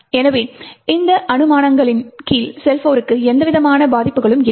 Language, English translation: Tamil, Therefore, under these assumptions SeL4 does not have any vulnerabilities